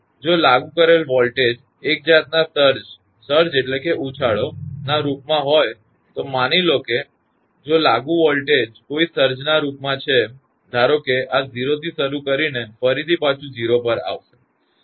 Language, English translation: Gujarati, So, if the applied voltage is in the form of a surge suppose if the applied voltage is in the form of a surge; say this starting from 0 and returning again to 0